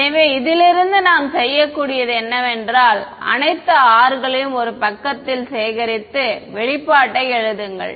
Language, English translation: Tamil, So, from this all what we can do is gather all the R's on one side and write the expression